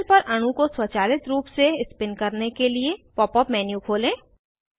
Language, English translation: Hindi, To automatically spin the molecule on the panel, open the Pop up menu